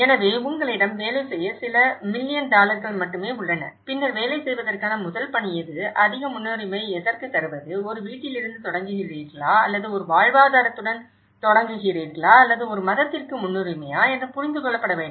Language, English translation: Tamil, So, which one you have only a few million dollars to work on it so, then what is the first task to work, which are the most priority, is it you start with a home or you start with a livelihood or you start with a religion you know that’s priority has to be understood